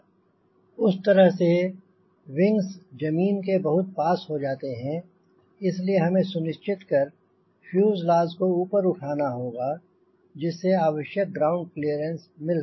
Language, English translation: Hindi, the wings are too close to the ground, so we have to ensure the fuselage is raised upward so that there is enough clearance